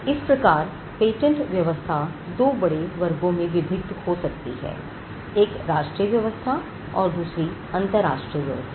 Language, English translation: Hindi, So, the patent regime can comprise of two broad classification; one you have the national regime and then you have the international regime